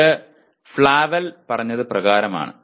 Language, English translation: Malayalam, This is as per Flavell